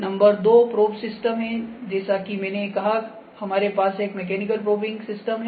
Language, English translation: Hindi, Number 2 is the probing system as I said we have a mechanical probing system here